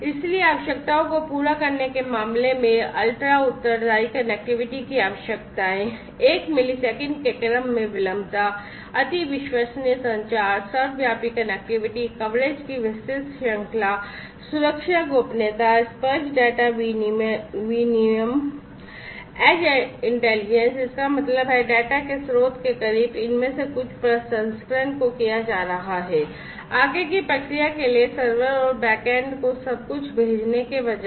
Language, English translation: Hindi, So, in terms of fulfilling requirements, requirements of ultra responsive connectivity, latency in the order of 1 millisecond, ultra reliable communication, ubiquitous connectivity, wide range of coverage, security privacy, tactile data exchange, edge intelligence; that means, close to the source of the data some of these processing is going to be done instead of sending everything to the back end to the servers and so on, for further processing